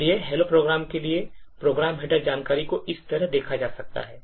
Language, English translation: Hindi, So, the program header information for the hello program could be viewed like this